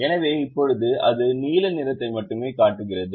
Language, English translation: Tamil, so right now it shows only the blue color